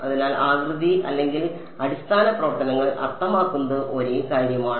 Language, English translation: Malayalam, So, shape or basis functions means the same thing